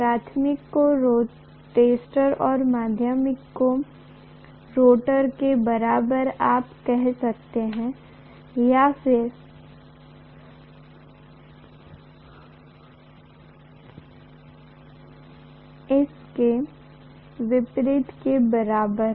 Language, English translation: Hindi, The primary is equivalent to the stator you can say if you want to and the secondary is equivalent to the rotor or vice versa